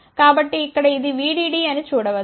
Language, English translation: Telugu, So, one can see here this is VDD